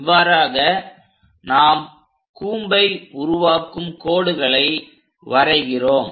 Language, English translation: Tamil, So, these are called generated lines of the cone